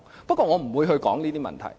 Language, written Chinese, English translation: Cantonese, 不過，我不會說這些問題。, However I am not going to comment on these issues